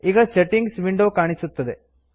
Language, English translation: Kannada, The Settings window appears